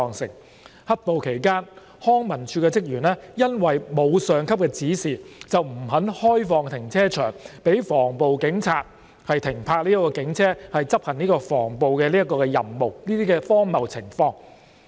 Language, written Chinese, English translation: Cantonese, 在"黑暴"期間康文署職員因為沒有上級指示，而不肯開放停車場予防暴警察停泊警車執行防暴任務，這些荒謬情況。, During the black - clad riots the Leisure and Cultural Services Department LCSD staff refused to let anti - riot police officers to park their vehicles in the relevant LCSD site in the course of executing their anti - riot tasks because they had not received instructions from their superiors